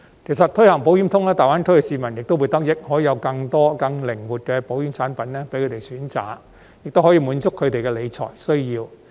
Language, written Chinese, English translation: Cantonese, 其實，推行"保險通"亦會令大灣區的市民得益，因為既可有更多更靈活的保險產品供他們選擇，也可以滿足他們的理財需要。, Actually launching the Insurance Connect can also benefit people in GBA . This is because not only can more insurance product options of greater flexibility be available to them their wealth management needs can also be addressed